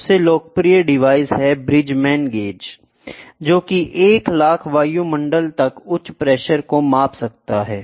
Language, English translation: Hindi, The most popular device used this Bridgman's gauge which can be which can measure high pressure up to 1 lakh atmosphere